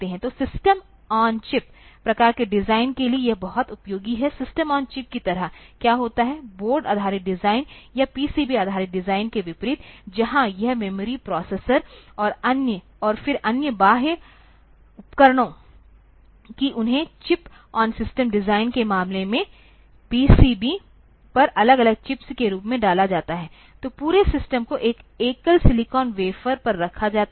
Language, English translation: Hindi, So, for system on chip type of design also, that it is very much useful; like in system on chip, what happens is that, unlike a board based design or PCB based design, where this memory, processor then other peripherals, that they are put as separate chips on the PCB in case of system on chip design, so entire system is put onto a single silicon wafer